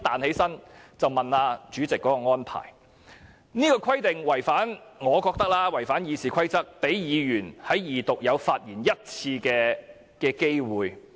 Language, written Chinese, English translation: Cantonese, 我覺得這個規定違反《議事規則》，讓議員在二讀有1次發言機會的規定。, In my view this arrangement has violated the Rules of Procedure which stipulates that a Member may speak once in the Second Reading debate